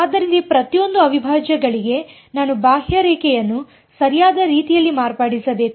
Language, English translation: Kannada, So, for each of these integrals, I have to modify the contour in the correct way ok